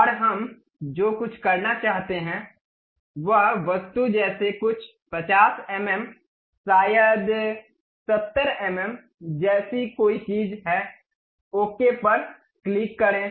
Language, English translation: Hindi, And what we would like to have is close the object something like some 50 mm, maybe something like 70 mm, click ok